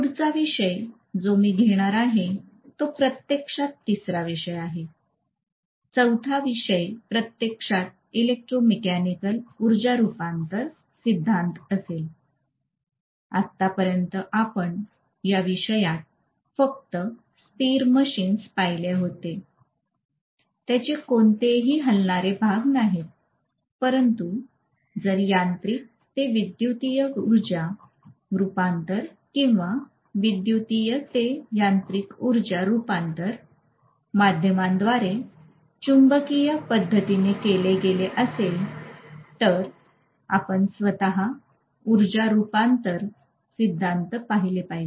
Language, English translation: Marathi, Then the next topic that I am going to have which is actually the third topic, fourth topic I suppose, fourth topic, the fourth topic actually is going to be the electromechanical energy conversion principle, until now what we had seen in the topic was only static machines, they are not having any moving parts but if mechanical to electrical energy conversion or electrical to mechanical energy conversion has to take place through a magnetic via media we have to have definitely looking at energy conversion principles themselves